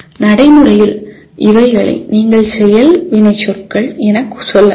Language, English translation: Tamil, As you can see these are practically you can say action verbs